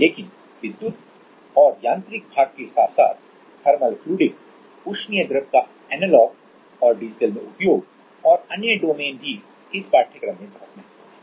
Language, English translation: Hindi, But, along with the electric and mechanical part even the thermal fluidic and other domains are also very much important in this course